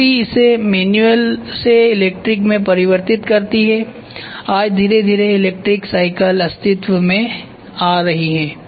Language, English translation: Hindi, Boom box is placed there battery converts it from manual to electric today slowly electric bicycles are coming into existence